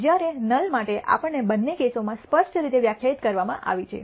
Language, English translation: Gujarati, Whereas, for the null we are clearly defined in both cases